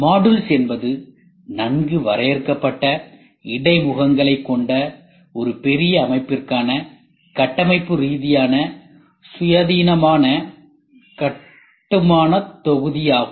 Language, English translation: Tamil, Modules are structurally independent building block for a large system with well defined interfaces